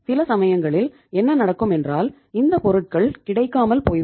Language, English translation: Tamil, So sometimes what happens that these things are sometime short in supply